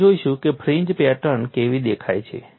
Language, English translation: Gujarati, We will see how the fringe patterns look like